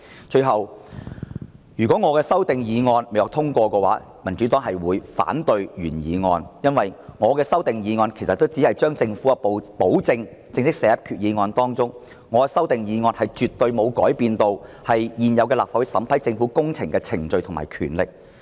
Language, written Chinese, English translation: Cantonese, 最後，如果我的修訂議案不獲通過，民主黨就會反對原議案，因為我的修訂議案只是把政府的保證正式寫入決議案當中，修訂議案絕對沒有改變立法會審批政府工程的現有程序及權力。, Finally if my amending motion is negatived the Democratic Party will vote against the original motion as my amending motion simply seeks to officially include the Governments commitment in the Resolution . It definitely does not change the existing procedures and powers of the Legislative Council in scrutinizing public works